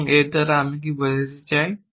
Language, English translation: Bengali, So, what do I mean by this